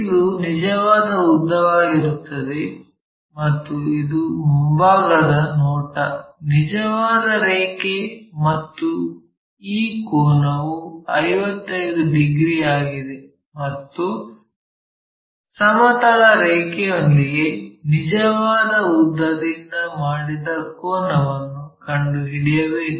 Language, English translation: Kannada, So, this is true length and this is the front view, true line and this angle is 55 and what we have to find is the angle true line making in that horizontal thing